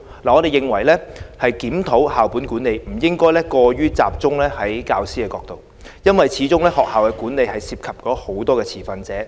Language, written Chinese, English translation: Cantonese, 我們認為檢討校本管理，不應過於集中在教師的角度，因為始終學校的管理涉及很多持份者。, Our view is that we should not focus too much on teachers when reviewing the school - based management system since there are many other stakeholders in school management